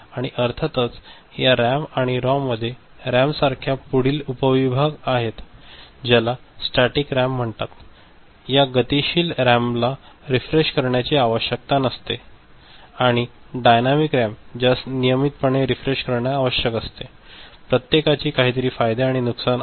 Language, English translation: Marathi, And of course, within this RAM and ROM, there are further subdivisions like in RAM that is called Static RAM, which does not require refreshing that is dynamic RAM which requires periodic refreshing, each one has its you know, strengths and weaknesses